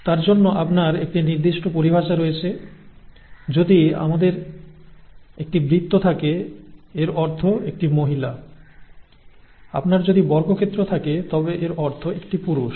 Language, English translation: Bengali, For that you have a certain terminology, if we have a circle it means a female, if you have a square it means a male